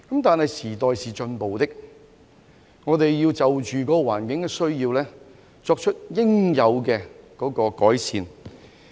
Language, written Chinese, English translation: Cantonese, 但是，時代是進步的，我們要就着環境的需要而作出應有改善。, However as times progresses we ought to make the necessary improvements in response to the needs of the environment